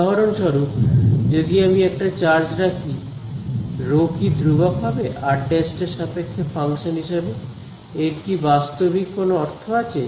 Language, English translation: Bengali, If I put will the charges for example, will the rho be constant as a function of r prime, is that physically meaningful